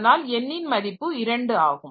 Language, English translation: Tamil, So, n equal to 2